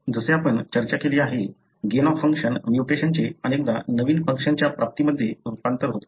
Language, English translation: Marathi, So, as we have discussed, the gain of function mutations often results in gain of a novel function